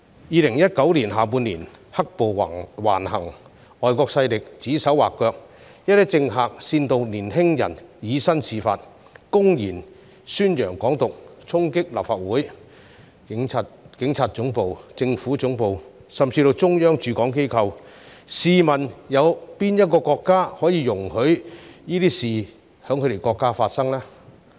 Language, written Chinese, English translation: Cantonese, 2019年下半年，"黑暴"橫行、外國勢力指手劃腳，一些政客煽動年輕人以身試法，公然宣揚"港獨"，衝擊立法會、警察總部、政府總部甚至是中央駐港機構，試問哪個國家會容許這些事情發生呢？, All these acts have seriously challenged the baseline of the one country two systems principle . The second half of 2019 saw riots running wild and foreign forces exerting undue influences . Some politicians incited young people to defy the law by flagrantly advocating Hong Kong independence and storming the Legislative Council the Police Headquarters Central Government Offices and even offices set up by the Central Authorities in Hong Kong